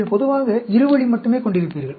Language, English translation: Tamil, You generally have two way only